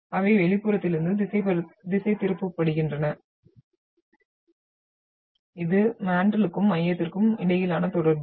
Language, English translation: Tamil, They are been deflected from the outer that is the contact between the mantle and the core